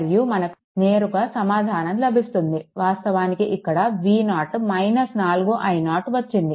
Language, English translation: Telugu, And directly you are get a here actually here, we have got the relation V 0 is equal to minus 4 i 0